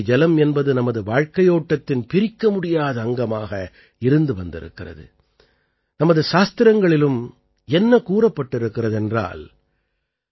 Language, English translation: Tamil, Ganga water has been an integral part of our way of life and it is also said in our scriptures